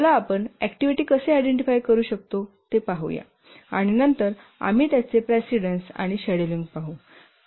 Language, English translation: Marathi, Let's look at how we do identify the activities and then we identify the precedents and schedule